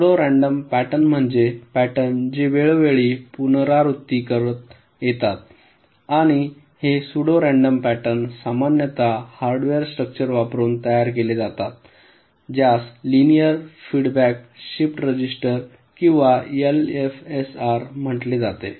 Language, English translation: Marathi, pseudo random pattern means patterns which can be repeated in time, and this pseudo random patterns are typically generated using a hardware structure which is called linear feedback shift register or l f s r